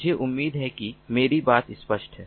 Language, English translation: Hindi, i hope that my point is clear